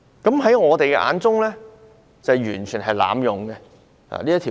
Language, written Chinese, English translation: Cantonese, 在我們的眼中，警方是完全濫用限聚令。, In our eyes the Police have totally abused the social gathering restrictions